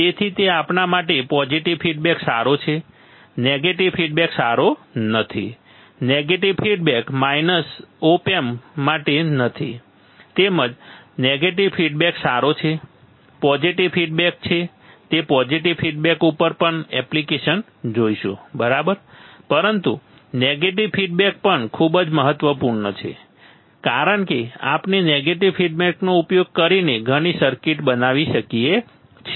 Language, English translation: Gujarati, So, it is kind of a the opposite to how we feel for us positive feedback is good negative feedback is not good negative feedback is not for op amp negative feedback is good positive feedback is we will see the application on positive feedback as well, right, but negative feedback is very important because we can create lot of circuits using negative feedback right